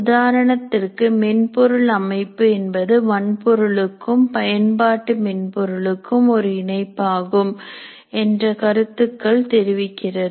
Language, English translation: Tamil, For example, system software is an interface between hardware and application software